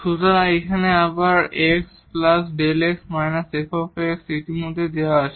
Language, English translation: Bengali, So, again here f x minus f delta x is given already there